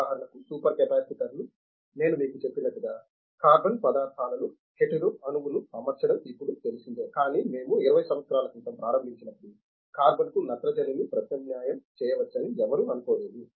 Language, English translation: Telugu, For example, super capacitors as I told you, the hetero atom substitution in carbon materials is now known, but when we started 20 years back nobody even thought that nitrogen can be substituted in carbon